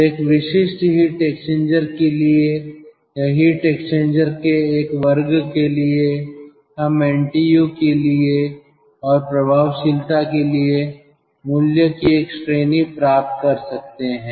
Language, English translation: Hindi, so for a typical heat exchanger or for a class of heat exchanger, we can get a range of value for ntu and for effectiveness